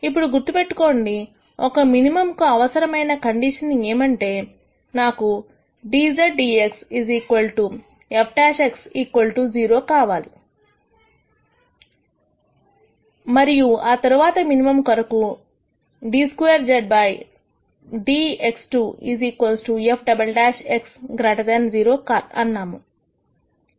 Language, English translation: Telugu, Then remember we said the necessary condition for a minimum is that I should have dz dx equal to f prime x equal 0 and then we said d squared z dx squares equal to f double prime x is greater than 0 for minimum